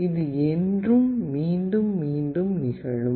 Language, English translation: Tamil, This can also repeat forever